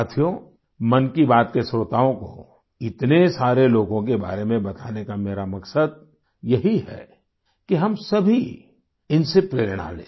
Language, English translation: Hindi, the purpose of talking about so many people to the listeners of 'Mann Ki Baat' is that we all should get motivated by them